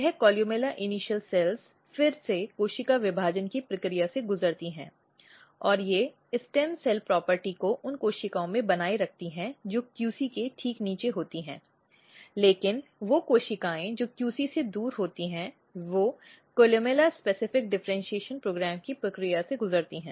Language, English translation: Hindi, Third initials if you look these are the columella cell columella initial cells this columella initial cells again undergo the process of cell division and they remain the stem cells property in the cells which are just below the QC, but the cells which are distal from the QC they undergo the process of columella specific differentiation program